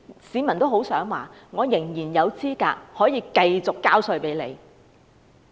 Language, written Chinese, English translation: Cantonese, 市民很希望明年仍然合資格繼續繳稅。, People hope that they will still be qualified as taxpayers next year